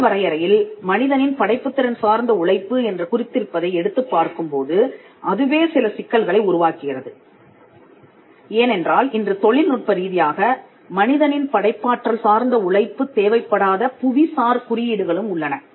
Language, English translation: Tamil, When we pick the definition of intellectual property right to human creative Labour that itself creates some problems because, we have today something called geographical indications where no human creative effort is technically involved